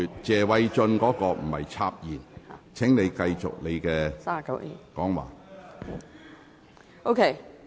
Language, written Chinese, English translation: Cantonese, 謝偉俊議員不是插言，請你繼續發言。, That was not an interruption by Mr Paul TSE . Please continue